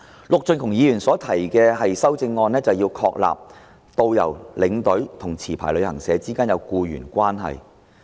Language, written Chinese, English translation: Cantonese, 陸頌雄議員所提的修正案，是要確立導遊、領隊及持牌旅行社之間必須有僱傭關係。, By proposing these amendments Mr LUK Chung - hung aims at establishing an employer - employee relationship between tourist guidestour escorts and licensed travel agents